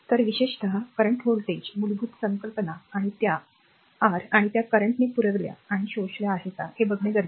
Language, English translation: Marathi, So, basic concept to we have seen particularly the current voltage and that your power and that power supplied and power absorbed, right